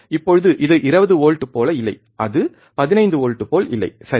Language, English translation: Tamil, Now do not do not go with this that it does not look like 20 volts, it does not look like 15 volts, right